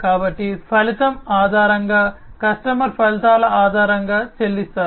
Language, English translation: Telugu, So, based on the outcome, the customer pays based on the outcomes